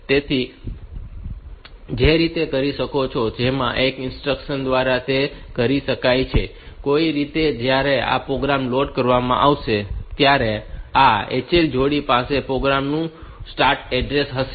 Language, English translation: Gujarati, So, the way it can be done is by a single instruction like it can, somehow when this program will be loaded then this HL pair will be having the start address of the program